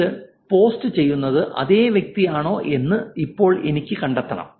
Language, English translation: Malayalam, Now I want to find out whether it's the same person who is posting it